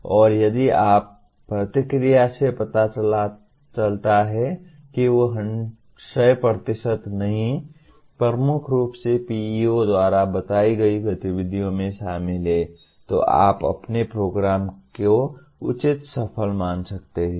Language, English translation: Hindi, And if your feedback shows that they are dominantly, not 100%, dominantly are involved in activities as stated by PEOs then you can consider your program to be reasonably successful